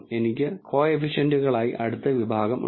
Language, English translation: Malayalam, I have the next section as the coefficients